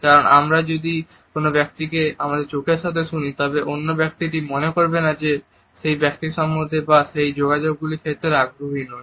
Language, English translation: Bengali, Because if we are listening to a person with our eyes ever did the other person feels that we are not interested either in the person or the contact